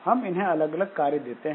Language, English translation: Hindi, So, we give different jobs to them